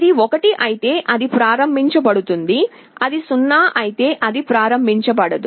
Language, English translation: Telugu, If it is 1, it is enabled, if it is 0, it is not enabled